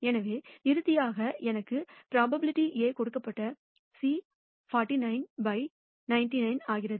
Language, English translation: Tamil, So, nally, I get probability of A given C is 49 by 99